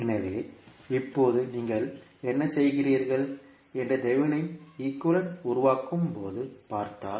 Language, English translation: Tamil, So now, if you see when you create the thevenin equivalent what you do